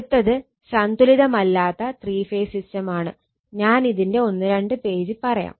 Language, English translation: Malayalam, Now, next is unbalanced three phase system, just one or two or just half page I will tell you